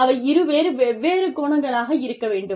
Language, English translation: Tamil, There have to be, two different angles